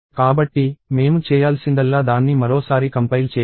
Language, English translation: Telugu, So, to correct that what I have to do is I have to compile it once more